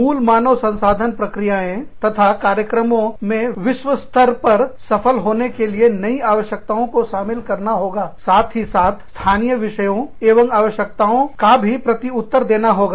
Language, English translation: Hindi, Aligning, core HR processes and activities, with new requirements of competing globally, while simultaneously, responding to local issues and requirements